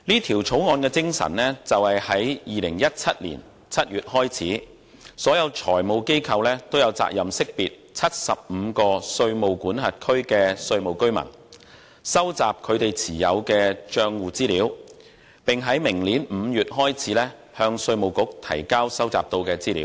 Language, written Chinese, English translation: Cantonese, 《條例草案》的精神是，在2017年7月開始，所有財務機構都有責任識別75個稅務管轄區的稅務居民、收集他們所持帳戶的資料，以及於明年5月開始向稅務局提交收集到的資料。, The spirit of the Bill is that all financial institutions FIs will be obliged to identify tax residents of 75 jurisdictions and collect information on accounts held by them with effect from July 2017 and to submit the information collected to the Inland Revenue Department with effect from May next year